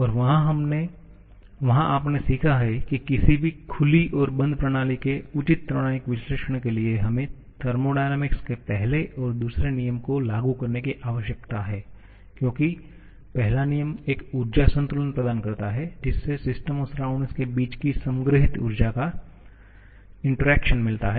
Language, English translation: Hindi, And there you have learned that for a proper thermodynamic analysis of any system, open or closed we need to apply both first and second law of thermodynamics because first law provides an energy balance thereby relating the change in the stored energy of a system to the corresponding energy interactions between the system and surrounding